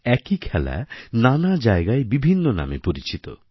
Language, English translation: Bengali, A single game is known by distinct names at different places